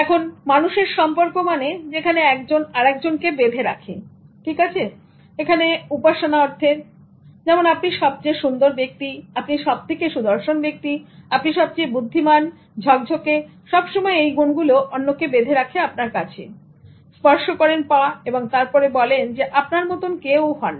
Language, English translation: Bengali, Now the relationship which one keeps the other in pedestal, so worshipping, like you are the most beautiful person, you are the most handsome man, you are the most intelligent, you are the smartest ever, keeping the other one in the pedestal, touching the feet and then saying that no one is like you